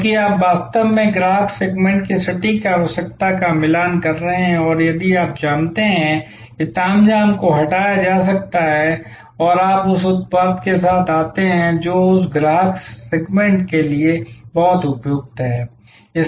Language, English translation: Hindi, Because, you are actually matching the exact requirement of the customer segment and therefore, you know what frills can be deleted and you come up with the product which is optimally suitable for that customer segment